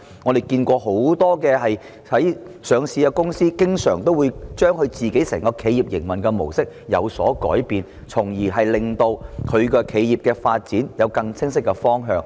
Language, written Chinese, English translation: Cantonese, 我們看見很多上市公司經常會改變公司本身的企業營運模式，從而令企業的發展有更清晰的方向。, We have seen that many listed companies often change their modi operandi to give their companies a clearer direction of development